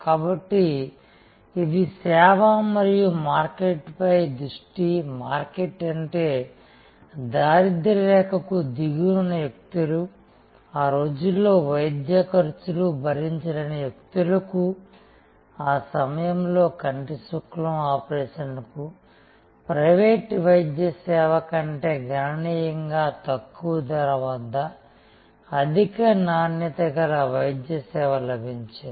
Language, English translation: Telugu, So, service and market focused, market is people at the bottom of the pyramid, people who cannot afford could not afford in those days, high quality medical service at a price which was significantly lower than private medical service that was available at that point of time and cataract operation